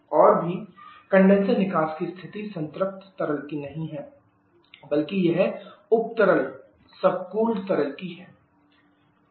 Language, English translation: Hindi, And also the condition exit condition is not of saturated liquid rather it is subcooled liquid